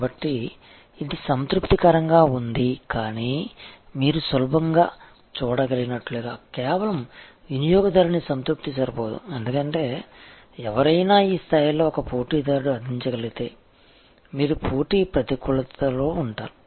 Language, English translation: Telugu, So, it is satisfactory, but as you can easily see therefore, just customer satisfaction is not enough, because if somebody else a competitor can provide at this level, then you will be at a competitive disadvantage